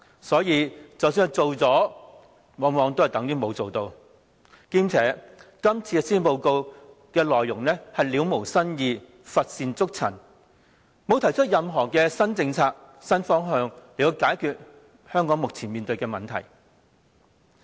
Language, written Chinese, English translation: Cantonese, 所以，即使做了，往往等於沒有做。況且，這份施政報告的內容了無新意，乏善足陳，沒有提出任何新政策、新方向來解決香港目前面對的問題。, What is more innovative ideas are wanting in this Policy Address it is a lackluster piece which fails to put forth any new policy or new direction to resolve the problems currently facing Hong Kong